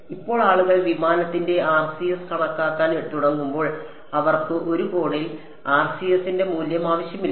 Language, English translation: Malayalam, Now when people start calculating the RCS of some aircraft they do not want the value of the RCS at one angle